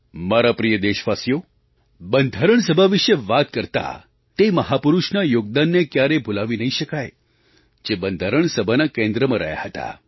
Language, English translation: Gujarati, My dear countrymen, while talking about the Constituent Assembly, the contribution of that great man cannot be forgotten who played a pivotal role in the Constituent Assembly